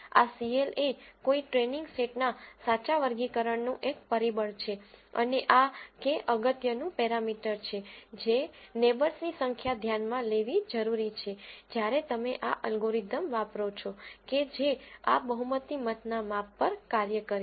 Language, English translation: Gujarati, This cl is a factor of true classifications of a training set and this k is the important parameter which is the number of neighbours that are needed to be considered while you do this algorithm which works on this majority voting criteria